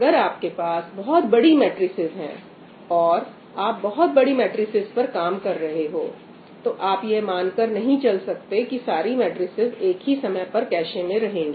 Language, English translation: Hindi, So, now if you have large matrices and you are working on large matrices, you cannot assume that all the matrices are going to be sitting in the cache all the time